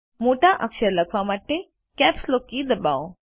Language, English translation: Gujarati, Press the Caps Lock key to type capital letters